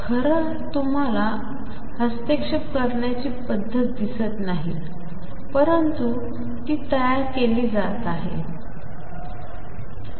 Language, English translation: Marathi, So, we do not really see the interference pattern, but it is being formed